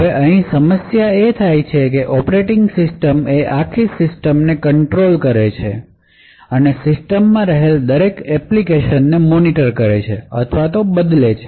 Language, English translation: Gujarati, Now the problem over here is that since the operating system controls the entire system and can monitor or modify all applications present in that system